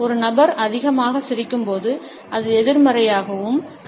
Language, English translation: Tamil, At the same time when a person smiles too much, it also is considered to be negative